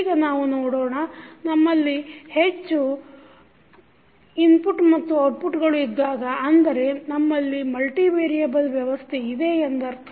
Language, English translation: Kannada, And this type of system where you have multiple inputs and outputs we call them as multivariable systems